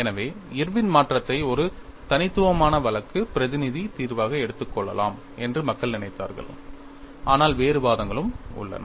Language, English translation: Tamil, So, people thought Irwin’s modification could be taken as a uniaxial case representative solution, but there are also other arguments